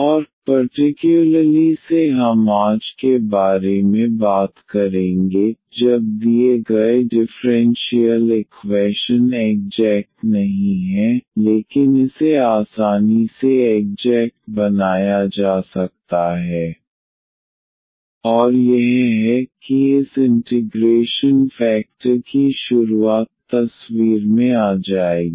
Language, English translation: Hindi, And, in particularly we will be talking about today when the given differential equation is not exact, but it can easily be made exact and that is the introduction of this integrating factor will come into the picture